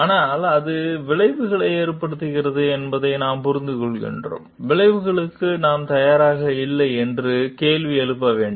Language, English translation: Tamil, But, we understand like it has repercussions and we have to question this to our self or we prepared for repercussions or not